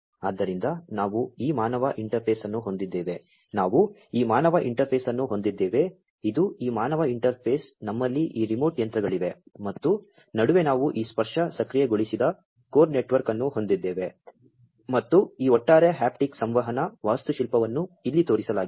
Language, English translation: Kannada, So, we have this human interface we have this human interface, this is this human interface we have these remote machines and in between we have this tactile enabled core network and this overall haptic communication architecture is shown over here